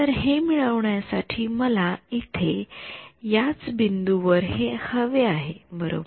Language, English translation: Marathi, So, in order to get this I also need at the same point over here I need this right